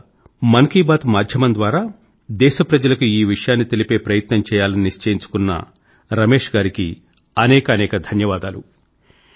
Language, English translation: Telugu, First of all let me thank Shri Ramesh for having shared his thoughts with the entire country through the Man Ki Baat forum